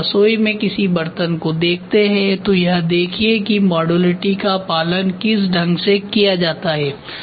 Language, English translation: Hindi, When you try to look at a utensil any utensil at kitchen see How modularity is followed